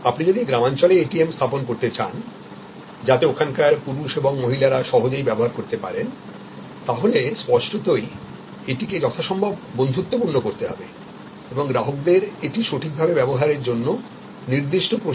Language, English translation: Bengali, So, if you want to deploy ATM in rural areas, where men, women can easily use then; obviously, you have to make the ATM use as friendly as possible and also provides certain training to the customers to use it properly